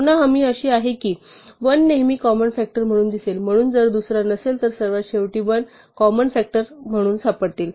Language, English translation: Marathi, Again the guarantee is that the 1 will always show up as a common factor, so if there are no other common factors at the very end we will find 1 as the greatest common factor